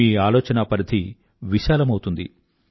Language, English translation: Telugu, Your vision will expand